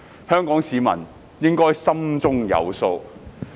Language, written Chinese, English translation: Cantonese, 香港市民應該心中有數。, Hong Kong people should have a better idea